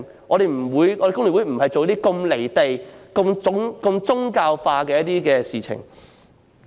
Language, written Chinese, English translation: Cantonese, 工聯會不會做出如此"離地"及宗教化的事情。, FTU will not do something so detached from reality and so religious oriented